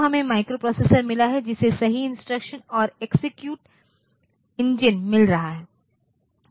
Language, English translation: Hindi, So, we have got microprocessor getting correct instructions and execute engine